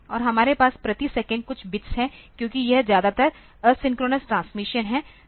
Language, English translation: Hindi, And we have some bits per second the bps setting because this is mostly asynchronous transmission